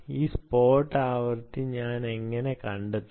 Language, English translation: Malayalam, and how do i find out this spot frequency